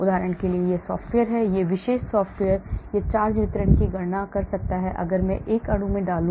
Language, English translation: Hindi, there are software for example this particular software it can calculate the charge distribution if I put in a molecule